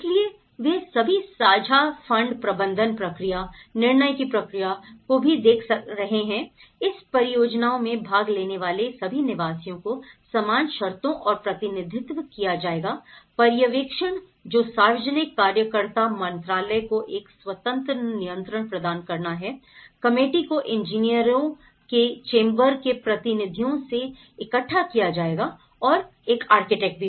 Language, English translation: Hindi, So, they are all looking at the shared fund management process also, the process of decision making all the residents taking part in this project will be represented on equal terms and the supervision which the Ministry of public worker has to offer an independent control committee would be assembled from the representatives of the chambers of engineers and architects